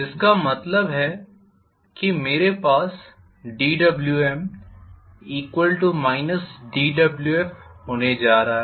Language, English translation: Hindi, Which means I am going to have dWm equal to minus of dWf